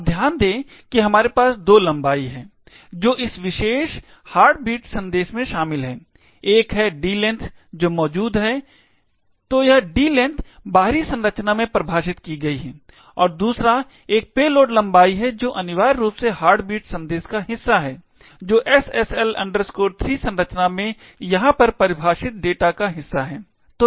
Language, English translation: Hindi, Now, notice that we have two lengths that are involved in this particular heartbeat message, one is the D length which is present, so this D length is defined in the outer structure and the second one is the load length which is essentially part of the heartbeat message which is part of the data defined over here in the SSL 3 structure